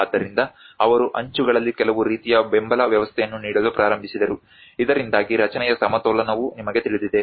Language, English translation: Kannada, So, that is where they started giving some kind of support system at the edges so that there is a you know the balance of the structure as well